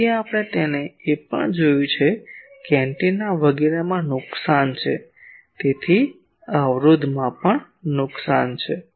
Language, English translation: Gujarati, So, there are we also have seen that there are losses in the antenna etc; so, there is a loss in resistance also